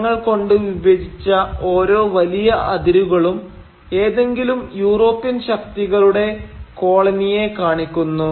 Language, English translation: Malayalam, And each of these large chunks of colour patches, each of them represent the colony of one or the other European power